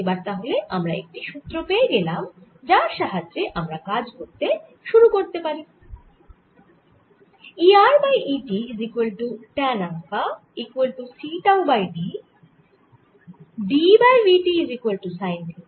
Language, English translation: Bengali, so now we got an working formula with which we now start working